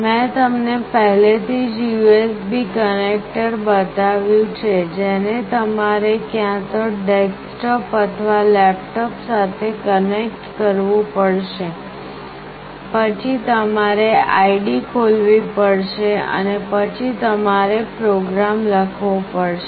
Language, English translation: Gujarati, I have already shown you the USB connector through which you have to connect to either a desktop or a laptop, then you have to open the id that is there and then you need to write the program